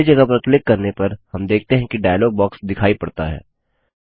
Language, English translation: Hindi, On clicking the empty space, we see, that the Insert Sheet dialog box appears